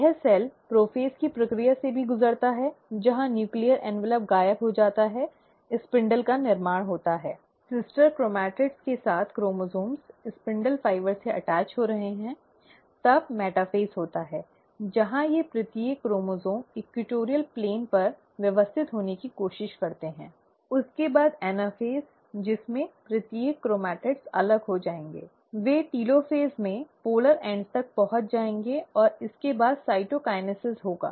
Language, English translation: Hindi, This cell also undergoes the process of prophase, where the nuclear envelope disappears, spindle formation takes place, the chromosomes with the sister chromatids is attaching to the spindle fibre; then the metaphase happens where each of these chromosomes try to arrange at the equatorial plane, followed by anaphase, at which each of these chromatids will separate, they will reach the polar ends in the telophase, and this will be then followed by cytokinesis